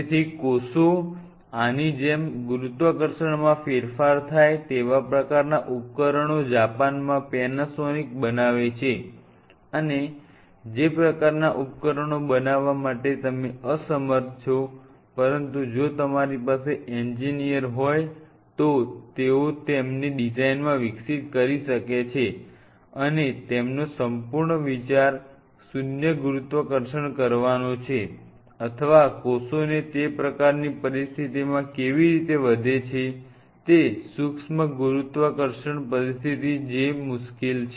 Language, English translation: Gujarati, So, the gravity value changes these kind of devices Panasonic in Japan they do make it, and if you have call in engineer surround you they can develop it for in their designs which you are available all night to make this kind of devices, and their whole idea is to simulate zero gravity or zero gravity is tough really to simulate it is basically a micro gravity situation how the cells grows in that kind of situation